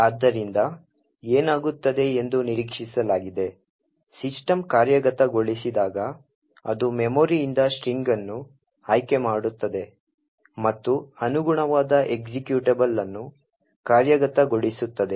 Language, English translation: Kannada, So, what is expected to happen is that when system executes, it would pick the string from the memory and execute that corresponding executable